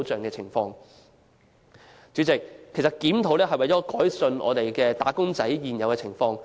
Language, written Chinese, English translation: Cantonese, 代理主席，檢討勞工法例無非為了改善"打工仔"的工作情況。, Deputy President a review of the labour legislation seeks nothing but improvement of wage earners working conditions